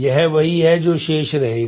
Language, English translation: Hindi, This is what will be remaining